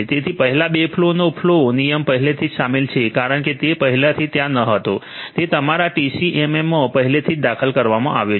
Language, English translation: Gujarati, So, the flow rule for the first two flows are already inserted because that was not already there so, it is already inserted in your TCAM